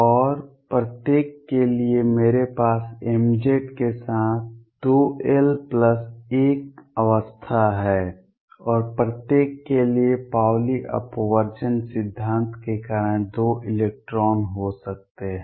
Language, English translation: Hindi, And for each I have 2 l plus 1 states with m Z, and for each there can be two electrons due to Pauli exclusion principle